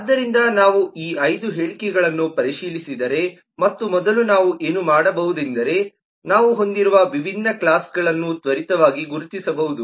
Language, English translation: Kannada, so if we look into these 5 statements, and first what we may do is we may quickly indentify the different classes that we have